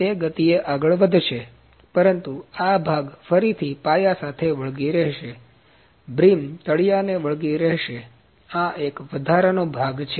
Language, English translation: Gujarati, It will be moving at a speed, but this part would stick with the base again, brim would stick to the base, this is the extra part